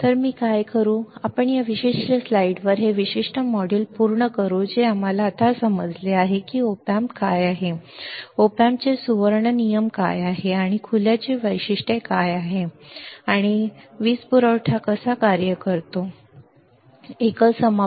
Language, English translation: Marathi, So, what I will do is let us finish this particular module at this particular slide which we understood now that what is op amp right, what are the golden rules of the op amp, and what are the characteristics of open, and what are the power supply whether it is unbalanced or balanced power supply right